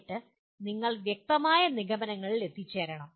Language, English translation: Malayalam, And then you have to come to, you have to reach substantiated conclusions